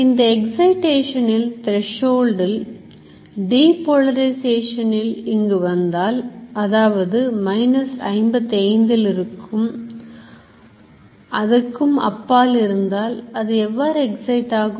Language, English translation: Tamil, This threshold of excitation if this depolarization crosses it here it comes here it goes beyond this which may be around minus 55 then it will fire